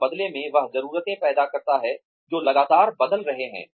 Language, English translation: Hindi, And, that in turn, that generates needs, which are constantly changing